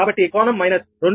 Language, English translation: Telugu, therefore it is zero minus one